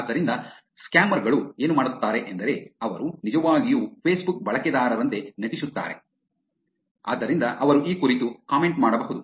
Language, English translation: Kannada, Therefore, what scammers do is that they actually pretend to be Facebook users so they can comment on this